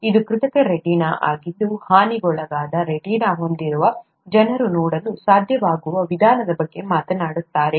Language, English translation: Kannada, This is artificial retina which talks about a means by which people with damaged retina could be, would be able to see